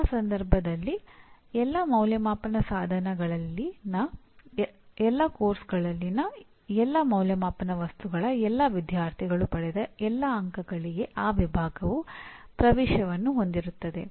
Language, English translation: Kannada, In such a case, the department will have access to all the marks obtained for all Assessment Items in all Assessment Instruments by all students in all courses